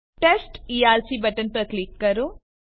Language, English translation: Gujarati, Click on Test Erc button